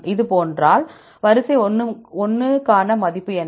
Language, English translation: Tamil, If this is the case, what is the value for sequence 1